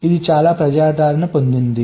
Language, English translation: Telugu, it has become so popular